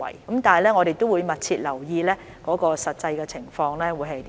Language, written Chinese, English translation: Cantonese, 但我們會密切留意實際的情況。, However we will keep a close watch on the actual situation